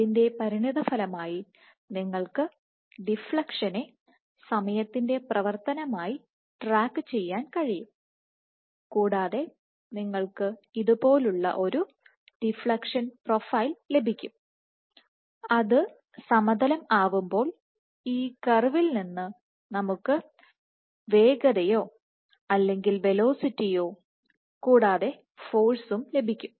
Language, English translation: Malayalam, So, as a consequence you can track the deflection as a function of time, and you would get a deflection profile which is something like this and the force, so, once it plateaus; that means, from this curve we can get the speed or velocity and the force as well